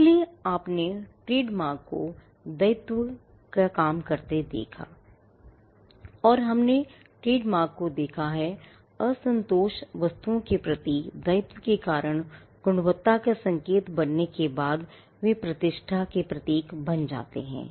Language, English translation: Hindi, So, you have seen trademarks go from liability and we have seen trademarks go from attributing liability to unsatisfactory goods to becoming signals of quality then, becoming symbols of reputation